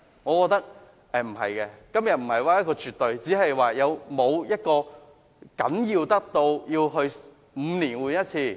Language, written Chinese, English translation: Cantonese, 我覺得並非絕不可行，問題是司機證是否重要得需要每5年更換一次？, I do not consider it to be absolutely infeasible . The problem is are driver identity plates so important as to warrant renewal every five years?